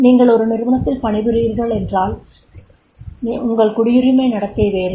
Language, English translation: Tamil, If you are working into the organization X then your citizenship behavior is different